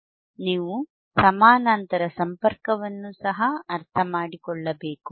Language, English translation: Kannada, yYou also hasve to understand athe parallel connection